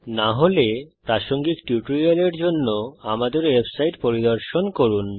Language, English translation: Bengali, If not, for relevant tutorial please visit our website which as shown